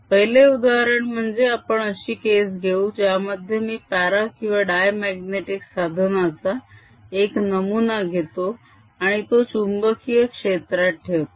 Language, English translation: Marathi, as the first example, let us take the case where i take a sample of magnetic material, paramagnetic or diamagnetic, and put it in a uniform field b